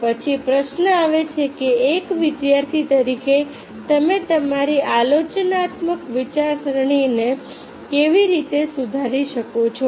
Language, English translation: Gujarati, then the question comes, being a student, how you can improve your critical thinking